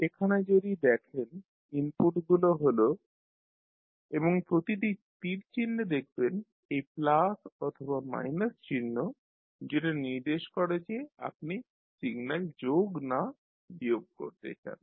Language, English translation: Bengali, So here if you see the inputs are X1, X2 and X3 and in each and every arrow you will see this plus or minus sign is presented which indicates whether you want to summing up or you want to subtract the signal